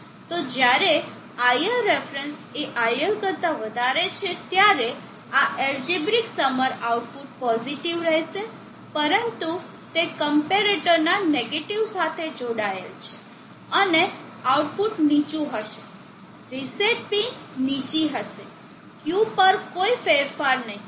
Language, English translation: Gujarati, iLref is higher than iL this is iLref which is higher than iL, so when iLref is higher than iL the output this algebraic summer will be positive but that is connected to the negative of the comparator and the output will be low, the reset pin will be low no change on Q